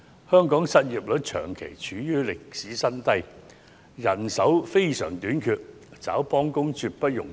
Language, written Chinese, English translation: Cantonese, 香港失業率長期處於歷史新低，人手短缺，想招聘幫工絕不容易。, Hong Kongs unemployment rate has remained historically low for a prolonged period . Due to manpower shortage it is no easy task at all to recruit substitute workers